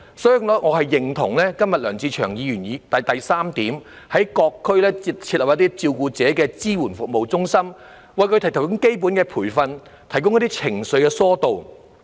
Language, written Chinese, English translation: Cantonese, 所以，我認同梁志祥議員的議案第三部分：在各區設立照顧者支援服務中心，為照顧者提供適切培訓及疏導情緒等服務。, Thus I agree with item 3 of Mr LEUNG Che - cheungs motion which proposes the setting up of carer support service centres in various districts to provide carers with appropriate training and services such as emotional relief